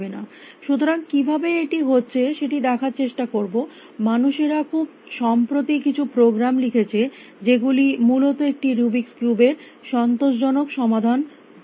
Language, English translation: Bengali, So, will try an address this how and I said people have more recently written programs which will find you the optimal solution in a Rubik’s cube essentially